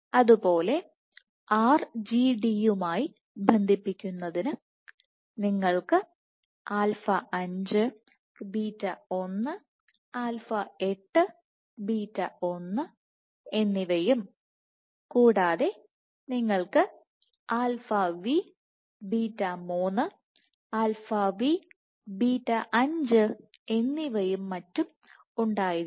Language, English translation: Malayalam, So, for RGD binding you can have alpha 5 beta 1, alpha 8 beta 1 and also you have alpha v beta 3, alpha v beta 5 so on and so forth